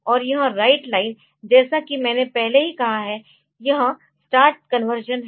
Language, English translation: Hindi, And this write line this I have already said that this is the start conversion